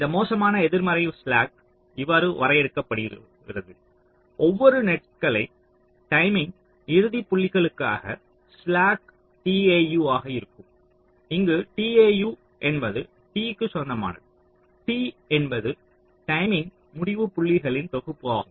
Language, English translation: Tamil, so this, this worst negative slack, can be defined as the slack for every net timing endpoints: tau, where tau belongs, to t, where t is the set of timing endpoints